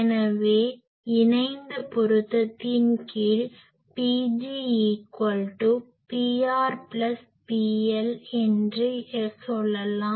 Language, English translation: Tamil, So, under conjugate matching we can say that P g is equal to P r plus P L